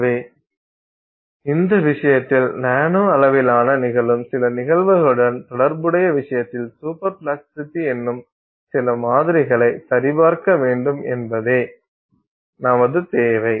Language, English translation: Tamil, So, our requirement is for you know, validating some model in say superplasticity in this case associated with some phenomenon that is occurring at the nanoscale in this case